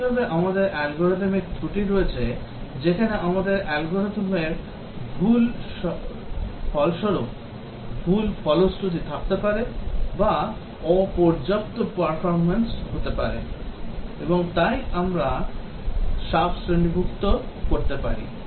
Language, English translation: Bengali, Similarly, we have Algorithmic Faults where we might have incorrect result wrong implementation of the algorithm or may be inadequate performance and so on, and we can sub categorize